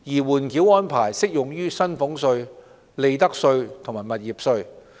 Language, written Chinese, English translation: Cantonese, 緩繳安排適用於薪俸稅、利得稅及物業稅。, The holdover arrangement applies to salaries tax profits tax and property tax